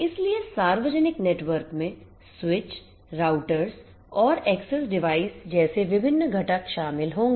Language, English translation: Hindi, So, public networks will consist of different components such as the switches, routers and access devices